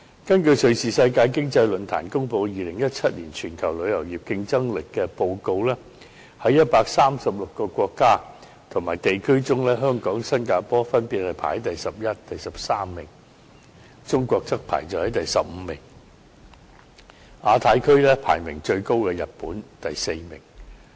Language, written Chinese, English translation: Cantonese, 根據瑞士世界經濟論壇公布的《2017年全球旅遊業競爭力報告》，在136個國家及地區中，香港、新加坡分別排在第十一名及第十三名，中國則排在第十五名，而亞太地區排名最高的是日本，排第四名。, According to the Travel Tourism Competitiveness Report 2017 published by Switzerlands World Economic Forum Hong Kong and Singapore ranked 12 and 13 respectively among 136 countries and places while China ranked 15 . Among the countries and places in the Asia - Pacific region Japan was ranked the highest and took the 4 place